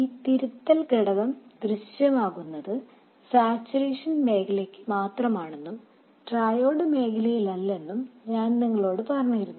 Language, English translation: Malayalam, I told you that this correction factor appears only for the saturation region and not for the triode region